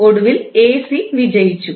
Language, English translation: Malayalam, Eventually AC won